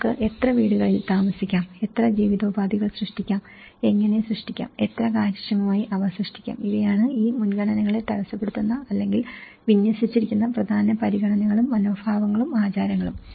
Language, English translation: Malayalam, How many houses we can dwell, how many livelihoods we can generate, how to generate, how efficiently we can generate so, these are the prime considerations and attitudes and customs which tend to impede these priorities or deployed